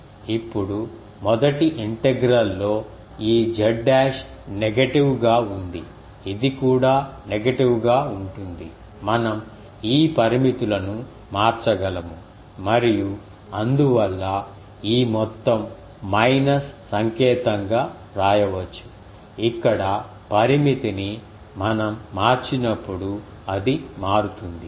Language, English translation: Telugu, Now, in the first integral this z dash is negative, this is also negative we can change this ah limits and so, the whole thing can be written as this minus sign will come when we will change the limit here here it will change